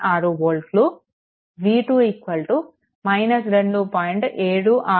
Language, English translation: Telugu, 686 volt v 2 is equal to 2